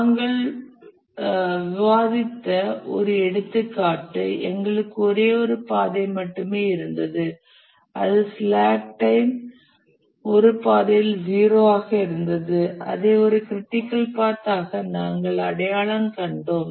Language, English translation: Tamil, The one example we discussed, we had only one critical path, that is the slack time where zero on one path and we identified that as a critical path